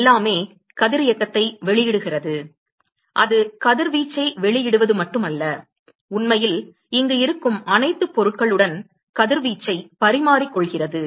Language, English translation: Tamil, Everything is emitting radiation it is not just as emitting radiation it is actually exchanging radiation with itself with all the object which is present here